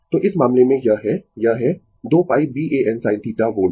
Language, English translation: Hindi, So, in this case, this is your this is your 2 pi B A N sin theta volts